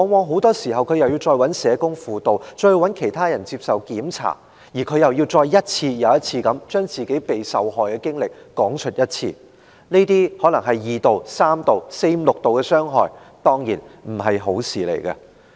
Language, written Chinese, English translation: Cantonese, 很多時他要再尋求社工輔導，再接受檢查，而且，他還要一次又一次地講述自己的受害經歷，這些可能是二度、三度甚至是四五六度的傷害，當然不是好事。, More often than not they need to approach a social worker for counselling to undergo further examinations and also to recount their traumas again and again . All these may constitute secondary victimization tertiary victimization or even further victimization . This is something undesirable for sure